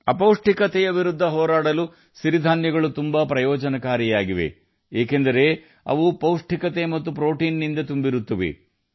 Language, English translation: Kannada, Millets are also very beneficial in fighting malnutrition, since they are packed with energy as well as protein